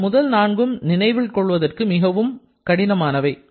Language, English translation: Tamil, The first 4 that are more complicated to remember